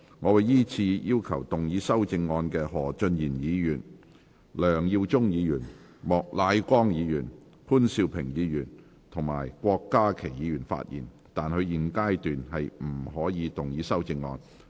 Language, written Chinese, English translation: Cantonese, 我會依次請要動議修正案的何俊賢議員、梁耀忠議員、莫乃光議員、潘兆平議員及郭家麒議員發言；但他們在現階段不可動議修正案。, I will call upon Members who move the amendments to speak in the following order Mr Steven HO Mr LEUNG Yiu - chung Mr Charles Peter MOK Mr POON Siu - ping and Dr KWOK Ka - ki; but they may not move the amendments at this stage